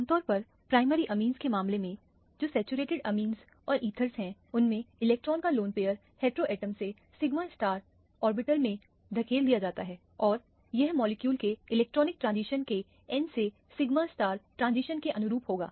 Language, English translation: Hindi, Typically, in the case of primary amiens, which are saturated amiens or ethers, which are saturated ethers, the lone pair of electrons from the heteroatom can be pushed into the sigma star orbital and this would correspond to the n to sigma star transition of the electronic transition of the molecule